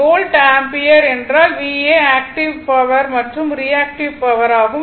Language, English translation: Tamil, So, volt ampere means VA active and reactive power so now, this is your this thing